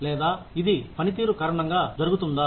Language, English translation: Telugu, Or, will it occur, because of the performance